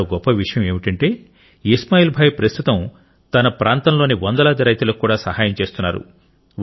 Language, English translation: Telugu, Today, Ismail Bhai is helping hundreds of farmers in his region